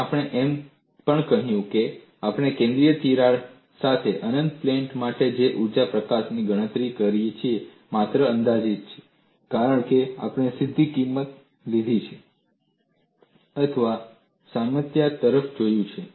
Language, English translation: Gujarati, And we have also said, whatever the calculation of energy release rate we have done for the infinite plate with a certain crack is only approximate, because we have directly taken the value or looked at the analogy